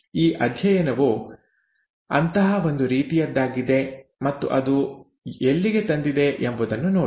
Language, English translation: Kannada, This study was one such kind and look at where it has led to